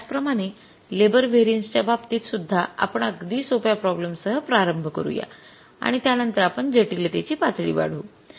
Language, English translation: Marathi, So, similarly in case of the labor variances also we will start with a very simple problem and then we will move to the say the different other problems and will the level of complexity